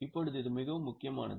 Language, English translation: Tamil, Now this is a very important note